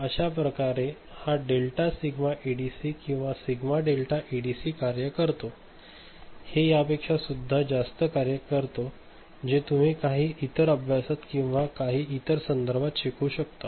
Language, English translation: Marathi, So, this is how this delta sigma ADC or also it is called sigma delta in some you know text so, it works more of it you will learn, in some other course, in some other context ok